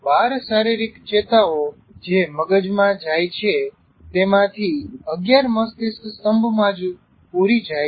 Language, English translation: Gujarati, 11 of the 12 body nerves that go to the brain and in brain stem itself